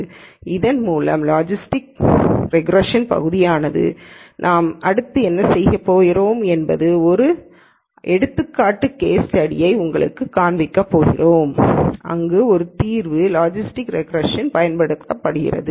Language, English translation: Tamil, So, with this the portion on logistic regression comes to an end what we are going to do next is we are going to show you an example case study, where logistic regression is used for a solution